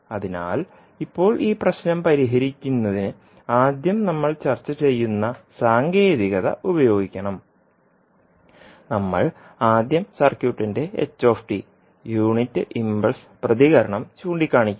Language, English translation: Malayalam, So now to solve this problem we have to first use the technique which we discuss that we will first point the unit impulse response that is s t of the circuit